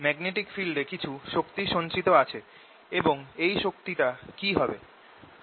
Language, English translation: Bengali, there should be a some energy stored in the magnetic field, and what should it be